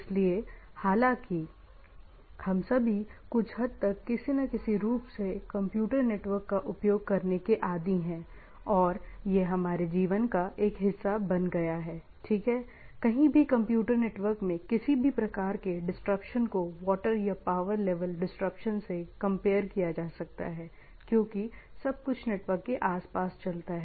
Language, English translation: Hindi, So, though all of us are somewhat means rather, everybody is accustomed with using computer network in some form or other and it has become a part and parcel of our life, right, anywhere any disruption in the computer network is as a disruption of power or water supply like that, right everything moves around the networks